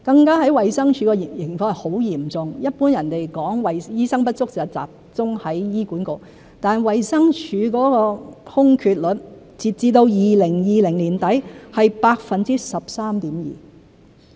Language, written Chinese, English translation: Cantonese, 在衞生署的情況更加嚴重，一般人說醫生不足是集中在醫管局，但衞生署的空缺率，截至2020年年底是 13.2%。, The situation in DH is even more critical . Ordinary people would say that the shortage of doctors is mainly seen in HA but DH has a vacancy rate of 13.2 % as at the end of 2020